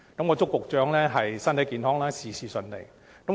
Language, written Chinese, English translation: Cantonese, 我祝高局長身體健康，事事順利。, I wish Secretary Dr KO good health and all the best